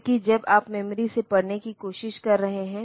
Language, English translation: Hindi, Simultaneously, because while you are trying to read from memory